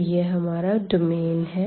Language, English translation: Hindi, So, this is the circle